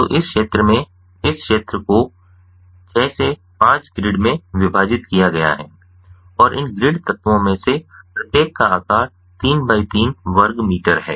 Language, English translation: Hindi, so in this field, this field is divided into a six by five grid and each of these grid elements has a size of three by three square meters and ah